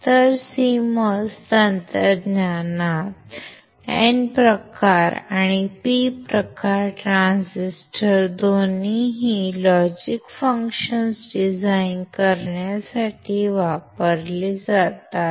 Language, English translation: Marathi, So, in CMOS technology both N type and P type transistors are used to design logic functions